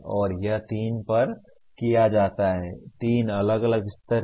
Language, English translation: Hindi, And this is done at three, there are three different levels